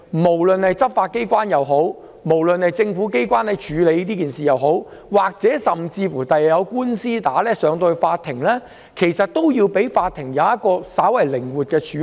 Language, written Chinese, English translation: Cantonese, 無論是執法機關或政府機關在處理這些事情上，甚至日後出現法律訴訟，其實亦要讓法庭可以稍為靈活地處理。, Whether it is for the law enforcement agencies or government authorities to deal with such matters or even if law suits arise in the future the court should in fact be allowed to handle them with some degree of flexibility